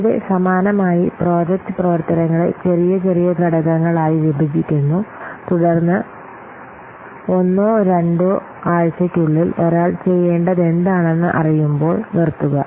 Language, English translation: Malayalam, So here similarly, you break the project activities into smaller and smaller components, then stop when you get to what to be done by one person in one or two weeks